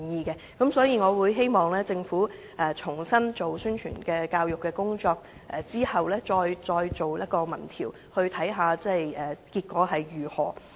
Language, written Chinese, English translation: Cantonese, 因此，我希望政府重新進行宣傳教育工作，然後才再進行民意調查，看看結果如何。, I thus hope that the Government can conduct promotion and education afresh and then initiate another opinion poll to see what the results will be